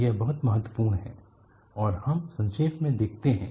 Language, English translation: Hindi, It is very important and let us summarize